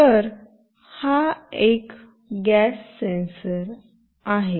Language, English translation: Marathi, So, this is the gas sensor